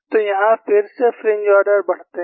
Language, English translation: Hindi, So, here again the fringe orders increases